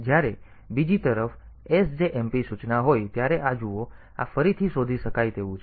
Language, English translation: Gujarati, But see this when it is sjmp instruction on the other hand, so this is re locatable